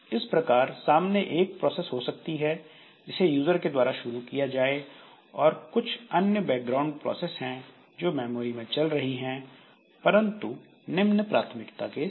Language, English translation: Hindi, So, there may be one process which is the user has initiated so that that is the foreground process and there are a number of background processes that are there in memory they are running but with a lower priority